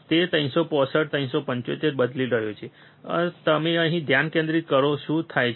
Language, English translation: Gujarati, He is changing 365, 375 you focus on here what happens